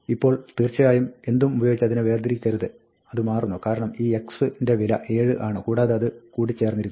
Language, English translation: Malayalam, Now, of course, do not separate it with anything, it changes, because, then, this x is 7 will get fused and this and this will get fused